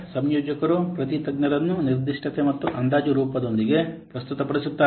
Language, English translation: Kannada, The coordinator presents each expert with a specification and an estimation form